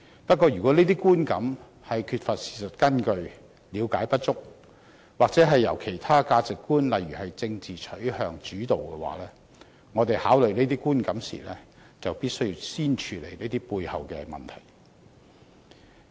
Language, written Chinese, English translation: Cantonese, 不過，如果這些觀感的形成，是因為缺乏事實根據、了解不足，又或受到其他價值觀主導，例如政治取向，我們考慮這些觀感時，便必須先處理這些背後的問題。, However if the perceptions are formed due to a lack of knowledge of the facts insufficient understanding or is led by other values like political stances we must first handle these matters behind the perceptions before we look at those perceptions